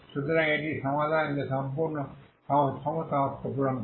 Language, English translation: Bengali, So this is the solution that satisfy all the condition